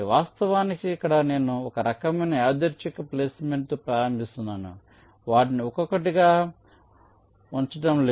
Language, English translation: Telugu, of course, here i am assuming that i am starting with some kind of a random placement, not placing them one by one